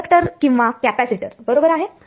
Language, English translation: Marathi, Inductor or capacitor right